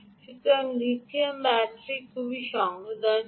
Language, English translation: Bengali, so lithium batteries are very sensitive to ah